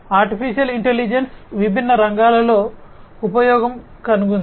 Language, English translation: Telugu, Artificial Intelligence has found use in different diverse fields